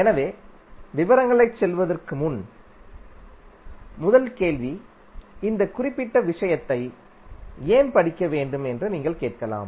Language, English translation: Tamil, So before going into the detail first question you may be asking that why you want to study this particular subject